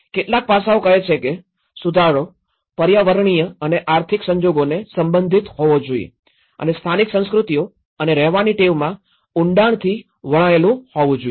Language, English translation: Gujarati, Some of the aspects says the revision should be relevant to environmental and economic circumstances and deeply rooted in local cultures and living habits